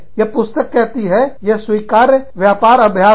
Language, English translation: Hindi, The book says, it is an acceptable business practice